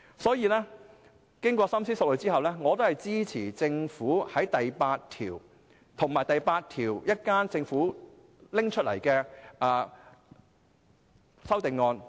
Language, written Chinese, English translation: Cantonese, 所以，經過深思熟慮後，我支持政府訂定的第8條，以及稍後就第8條提出的修正案。, Hence after careful consideration I support clause 8 of the Bill and the amendments to be moved by the Government to this clause